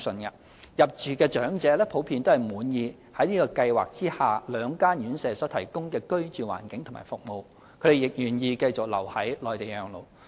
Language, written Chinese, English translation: Cantonese, 入住長者普遍滿意現計劃下兩間院舍所提供的居住環境和服務，他們亦願意繼續留在內地養老。, The elderly residing in the two residential care homes under the Pilot Scheme are generally satisfied with the living environment and services provided and they are willing to remain in the Mainland to spend their twilight years